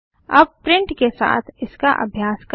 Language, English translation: Hindi, Now lets try the same thing with print